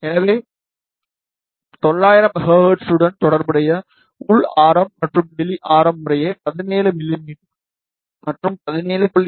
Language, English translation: Tamil, So, the inner radius and outer radius corresponding to 900 mm will be 17 mm and 17